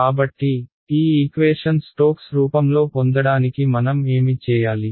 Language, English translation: Telugu, So, what do I need to do to this equation to get it into Stokes form